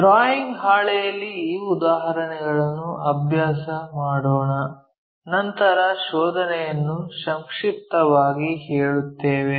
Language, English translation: Kannada, Let us practice this example on the drawing sheet after that we will summarize the finding